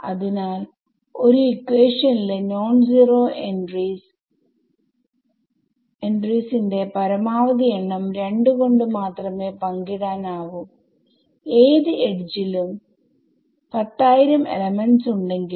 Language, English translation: Malayalam, So, the maximum number of non zero entries in any equation even if there are 10000 elements in this any edge can only be shared by 2